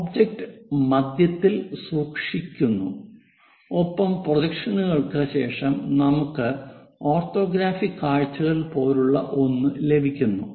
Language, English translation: Malayalam, The object somewhere kept at middle and after projections we got something like orthographic views in that way